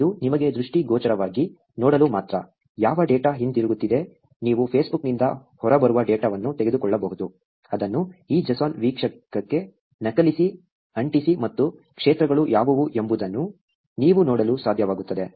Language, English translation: Kannada, This is only for you to see visually, what data is coming back; you can take the data that is coming out of Facebook, copy paste it into this JSON viewer, and you will be able to see, what the fields are